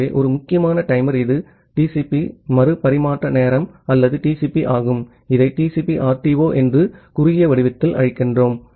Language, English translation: Tamil, So, one important timer it is TCP retransmission timeout or TCP, we call it in short form TCP RTO